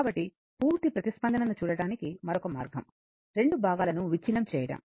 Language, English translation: Telugu, So, another way of looking at the complete response is to break into two components